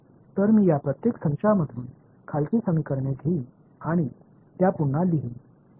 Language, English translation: Marathi, So, I am going to take the bottom equation from each of these sets and just rewrite them